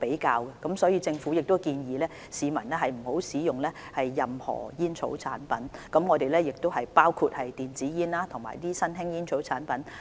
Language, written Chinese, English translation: Cantonese, 因此，政府建議市民不要使用任何煙草產品，包括電子煙和新型吸煙產品。, Therefore the Government advises people against the use of any tobacco products including e - cigarettes and new smoking products